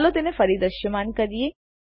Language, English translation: Gujarati, Lets make it visible again